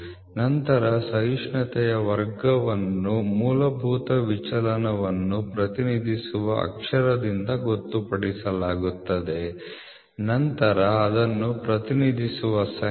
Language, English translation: Kannada, Then tolerance class it is designated by the letter here letters representing the fundamental deviation followed by the number representing it is standard tolerance grade